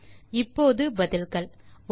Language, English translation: Tamil, Now, the answers, 1